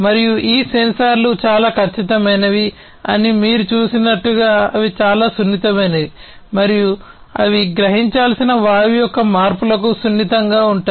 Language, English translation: Telugu, And as you have seen that these sensors are highly accurate, they are very much sensitive, and sensitive to the changes in the gas that they are supposed to; that they are supposed to sense